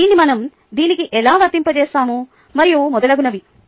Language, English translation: Telugu, how do we apply it to this, and so on, so forth